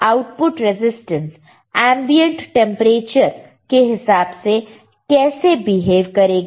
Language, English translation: Hindi, How the output resistance will behave with respect to ambient temperature